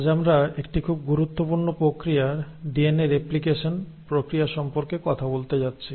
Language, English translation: Bengali, Today we are going to talk about a very important process, the process of DNA replication